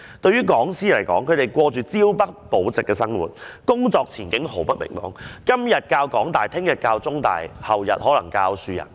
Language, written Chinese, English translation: Cantonese, 對於講師來說，他們過着朝不保夕的生活，工作前景毫不明朗，今天教香港大學，明天教香港中文大學，後天可能是教香港樹仁大學。, As for lecturers their prospects are very grim since there is no job security . They may teach at the University of Hong Kong today and The Chinese University of Hong Kong CUHK the next day and then the Hong Kong Shue Yan University the day after that